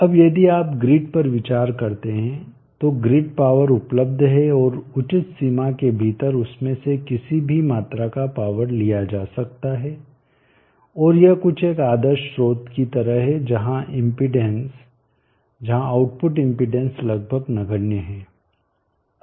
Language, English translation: Hindi, Now if you consider grid, the grid power is available and any amount of power can be drawn from it within reasonable limits and it is something like an ideal source where the impedance where the output impedance is almost negligible